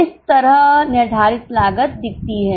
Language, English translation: Hindi, This is how the fixed cost looks like